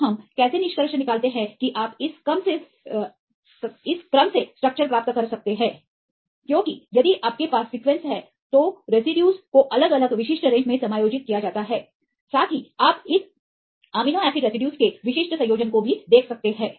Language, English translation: Hindi, So, how we get the conclusion that you can get the structure from this sequence; because if you have the sequence the residues are accommodated in different specific range right also you can see the specific combination of this amino acid residues